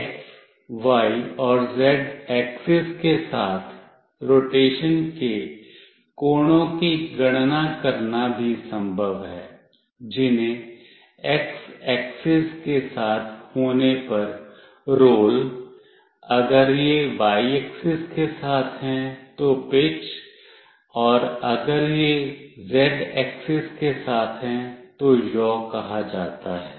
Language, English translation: Hindi, It is also possible to calculate the angles of rotation along x, y and z axes that are called roll if it is along x axis; pitch if it is along y axis; and yaw if it is along z axis